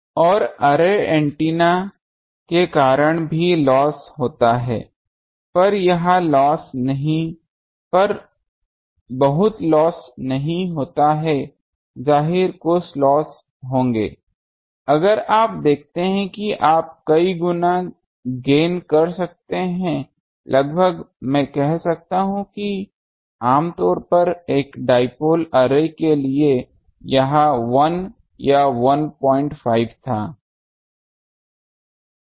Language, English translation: Hindi, And also losses due to array antenna there is not much loss so; obviously, there will be some losses, but you see you can make almost the gain was multiplied, almost I can say how much that typically the for an dipole array to it was 1 or 1